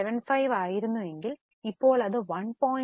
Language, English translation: Malayalam, 75, now it has become 6 by 4, that is 1